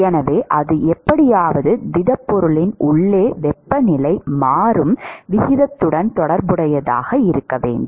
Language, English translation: Tamil, So, that has to be somehow related to the rate at which the temperature is changing inside the solid, right